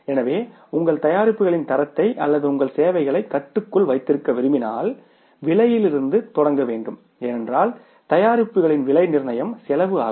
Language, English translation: Tamil, So, if you want to keep the prices of your product or your services under control, you have to start from the cost because cost is the basis of pricing the products